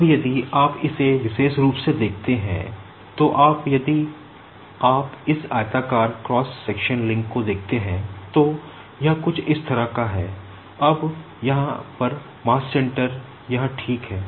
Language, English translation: Hindi, Now, if you see this particular you are if you if you just see this rectangular cross section link it is something like this, now here so the mass center is here ok